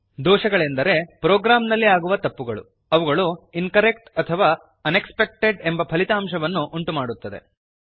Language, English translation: Kannada, Error is a mistake in a program that produces an incorrect or unexpected result